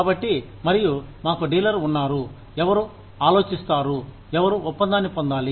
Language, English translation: Telugu, So, and we have the dealer, who thinks, who needs to get the deal